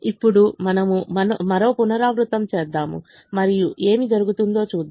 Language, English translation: Telugu, now we'll do one more iteration and see what has happened